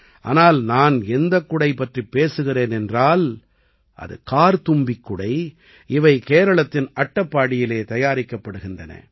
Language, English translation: Tamil, But the umbrella I am talking about is ‘Karthumbhi Umbrella’ and it is crafted in Attappady, Kerala